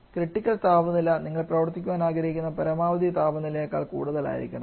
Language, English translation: Malayalam, Now the critical temperature of course should be well above the maximum temperature at which you would like to work